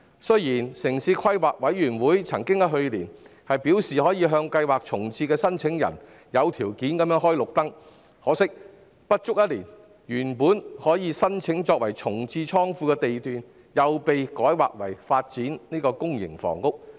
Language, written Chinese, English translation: Cantonese, 雖然城市規劃委員會曾於去年表示，可向計劃重置的申請人有條件開綠燈，可惜不足一年後，原擬申請作重置倉庫的地段卻被改劃為發展公營房屋。, The Town Planning Board stated last year that applicants for the planned relocation could be given a conditional green light but unfortunately in less than a year the lot originally proposed to be used as a warehouse relocation was rezoned for public housing development